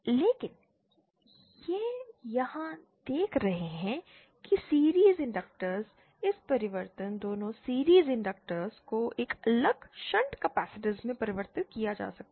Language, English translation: Hindi, But we see here is the series inductance both this transformation a series inductance can be converted to a shunt capacitance